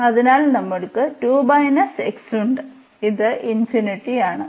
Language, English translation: Malayalam, So, we have 2 minus x and this is infinity